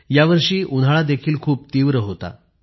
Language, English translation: Marathi, It has been extremely hot this year